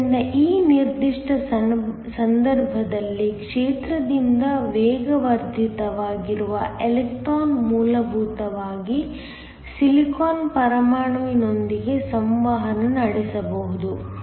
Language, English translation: Kannada, So, in this particular case an electron that is being accelerated by the field can essentially interact with a Silicon atom